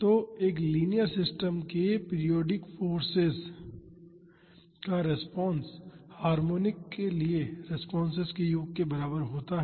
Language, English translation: Hindi, So, a response to a periodic force of a linear system is equal to the sum of the responses to it is harmonics